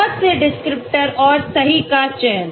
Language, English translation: Hindi, Too many descriptors and selection of the correct ones